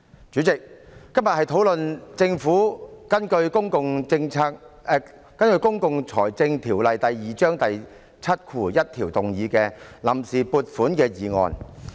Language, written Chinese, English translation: Cantonese, 主席，今天討論的是政府根據《公共財政條例》第71條提出的臨時撥款決議案。, President the subject of discussion today is the Vote on Account Resolution proposed by the Government under section 71 of the Public Finance Ordinance Cap . 2